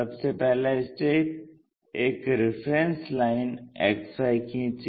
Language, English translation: Hindi, First what we have to do, draw a XY line; X axis Y axis